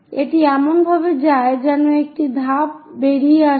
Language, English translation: Bengali, This one goes like a step comes out